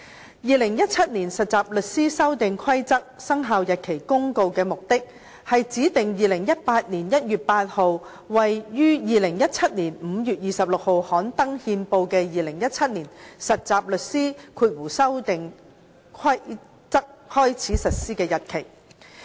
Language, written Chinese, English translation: Cantonese, 《〈2017年實習律師規則〉公告》的目的，是指定2018年1月8日為於2017年5月26日刊登憲報的《2017年實習律師規則》開始實施的日期。, The purpose of the Trainee Solicitors Amendment Rules 2017 Commencement Notice is to appoint 8 January 2018 as the date on which the Trainee Solicitors Amendment Rules 2017 come into operation . The Amendment Rules 2017 was published in the Gazette on 26 May 2017